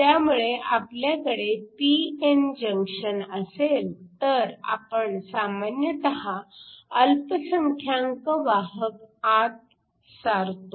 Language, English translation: Marathi, So, if you have a p n junction, we typically inject the minority carriers